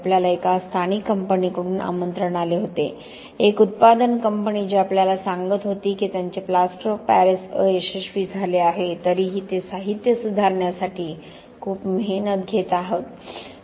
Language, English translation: Marathi, We had an invitation from a local company, a production company who were telling us that their Plaster of Paris were failing even though they were working so hard to improve the material